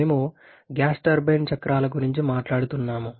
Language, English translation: Telugu, We are talking about the gas turbine cycles